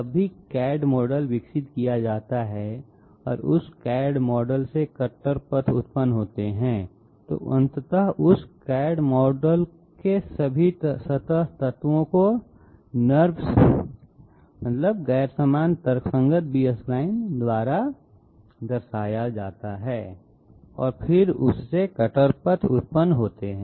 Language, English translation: Hindi, Whenever CAD model is developed and cutter paths are generated from that CAD model, ultimately all the surface elements of that CAD model are represented by NURBS and then cutter paths are generated from that